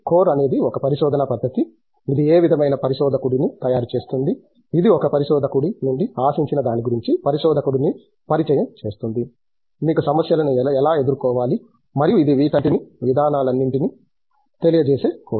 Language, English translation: Telugu, The core is a research methodology which is against, which sort of it is making of a researcher which introduces a researcher to what is expected out of a researcher, how do you deal with problems and all of it’s a methodology course